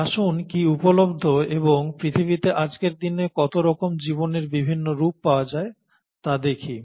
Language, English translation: Bengali, So let’s look at what all is available and how many different forms of life are available on today’s earth